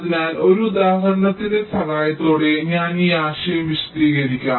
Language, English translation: Malayalam, let me illustrate this with the help of an example